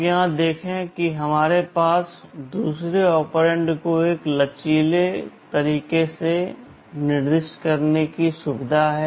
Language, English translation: Hindi, You see here we have a facility of specifying the second operand in a flexible way